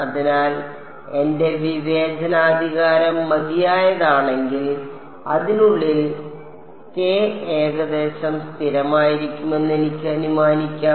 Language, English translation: Malayalam, So, if my discretization is fine enough I can assume k to be approximately constant within that